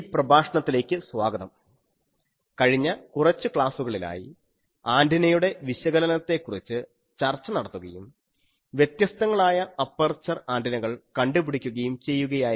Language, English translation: Malayalam, Welcome to this lecture, we were in the last few lectures discussing the analysis and also we are finding various aperture antennas